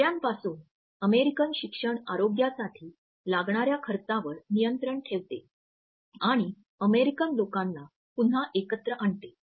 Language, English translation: Marathi, From jobs American education control American health care costs and bring the American people together again